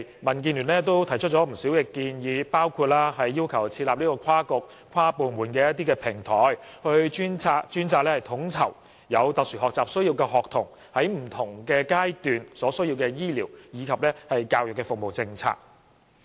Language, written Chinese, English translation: Cantonese, 民建聯多年來提出了不少建議，包括要求設立跨局、跨部門的平台，專責統籌有特殊學習需要的學童在不同階段所需要的醫療及教育服務政策。, For many years DAB has made a number of proposals such as setting up an inter - bureaux and inter - departmental platform to coordinate the policies on medical and educational services required by SEN students at different stages